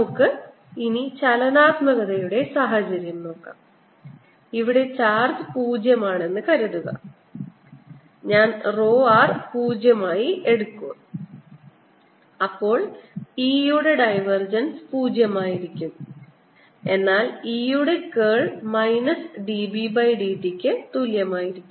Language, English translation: Malayalam, let's look at this case, the dynamic case, where, suppose the charge is zero, suppose i take row r to be zero, then divergence of e is zero, but curl of a is equal to minus d v by d t